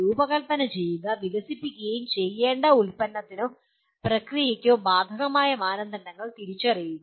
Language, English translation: Malayalam, Identify the standards that are applicable to the product or process that needs to be designed and developed